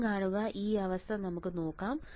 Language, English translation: Malayalam, See again let us see this condition